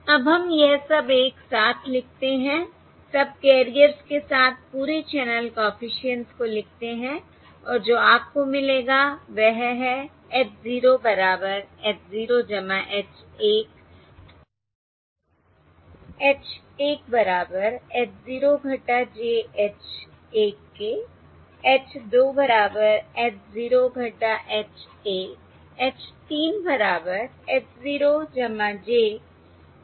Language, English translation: Hindi, Now let us write this all together, write all this channel coefficients across the subcarriers, and what you will find is H capital H 0 equals h 0 plus h 1